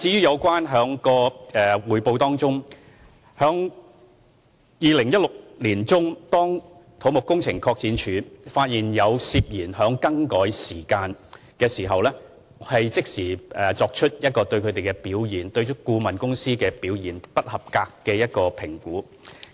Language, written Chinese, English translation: Cantonese, 有關匯報的問題，在2016年年中，當土木工程拓展署發現有涉嫌更改時間的情況後，已經即時就顧問表現是否不合格作出評估。, As regards reporting when CEDD found in mid - 2016 that there was suspected falsification of testing times it immediately evaluated whether the consultant had adverse performance